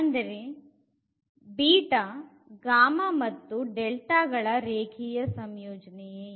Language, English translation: Kannada, So, what is linear combination